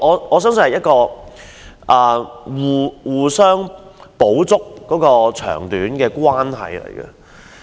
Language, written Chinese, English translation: Cantonese, 我相信這是互相補足長短的關係。, I believe this will help complement one anothers strengths and weaknesses